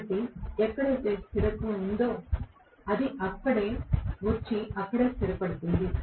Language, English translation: Telugu, So, wherever, the stability is, it will come and settle there